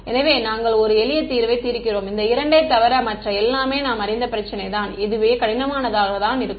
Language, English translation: Tamil, So, we are solving a simpler problem where we know everything except these two these itself is going to be difficult